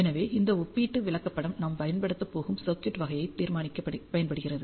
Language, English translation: Tamil, So, this comparative chart comes to rescue, when we decide the type of circuit that we are going to use